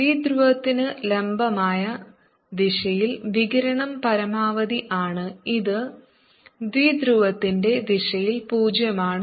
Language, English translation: Malayalam, radiation is maximum in the direction perpendicular to the dipole and it is zero in the direction of the dipole